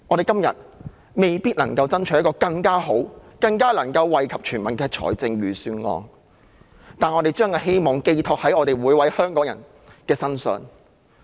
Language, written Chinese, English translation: Cantonese, 今天，我們未必能夠爭取一份更好、更能夠惠及全民的預算案，但我們把希望寄託在每位香港人身上。, Today we may not be able to fight for a better Budget which can benefit all people even more . Yet we put our hope in every Hongkonger